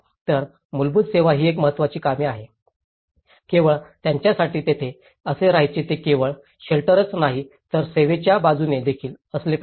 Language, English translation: Marathi, So, basic services is an important task, how in order to just live there for them it is not just only a shelter, it also has to be with service aspect